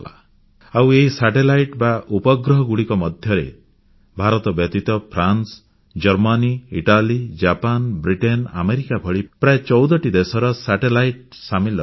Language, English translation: Odia, ' And besides India, these satellites are of France, Germany, Italy, Japan, Britain and America, nearly 14 such countries